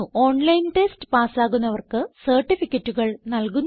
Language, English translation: Malayalam, They also give certificates to those who pass an online test